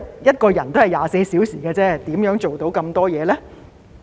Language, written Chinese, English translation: Cantonese, 一個人1天只有24小時而已，如何做到那麼多工作呢？, Everyone only gets 24 hours every day so how can he possibly handle so many work tasks?